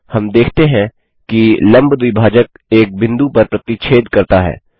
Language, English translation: Hindi, We see that the two angle bisectors intersect at point